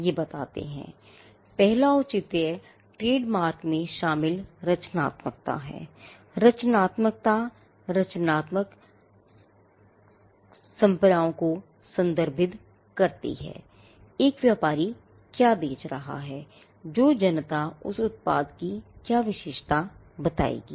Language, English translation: Hindi, Now, the first justification is that, there is creativity involved in trademarks and the creativity refers to the creative association of what a trader is selling with what the public would attribute to that product